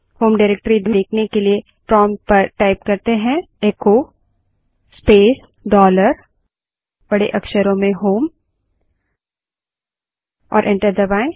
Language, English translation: Hindi, To see the home directory type at the prompt echo space dollar HOME and press enter